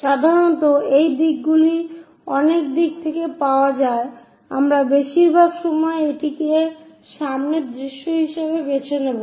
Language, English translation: Bengali, Usually, the details which are available many that direction we will pick it as frontal view most of the times